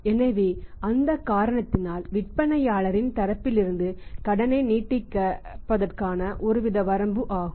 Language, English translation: Tamil, So, because of that reason is a limitation serious limitation for extending the credit from the seller side